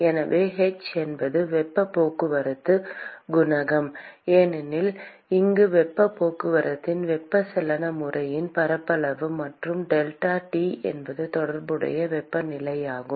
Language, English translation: Tamil, So, if h is the heat transport coefficient, As is the surface area of convective mode of heat transport here and delta T is the corresponding temperature